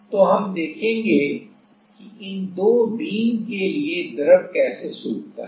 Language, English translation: Hindi, So, we will see that how the drying happens for this two beam